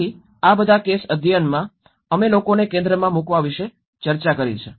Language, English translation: Gujarati, So, in all these case studies we have discussed about putting people in the centre